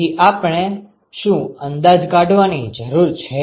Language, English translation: Gujarati, So, what do we need to estimate